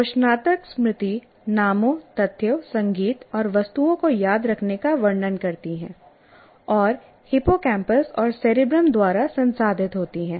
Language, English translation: Hindi, Declarative memory describes the remembering of names, facts, music, and objects, and is processed by hippocampus and cerebrum